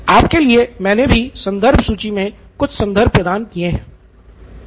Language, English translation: Hindi, I have given you a few references as well in the reference list